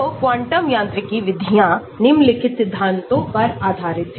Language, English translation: Hindi, So, quantum mechanics methods are based on following principles